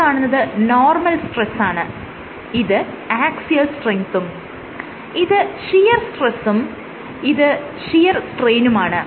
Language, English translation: Malayalam, The equation is very similar this is normal stress axial strength shear stress shear strain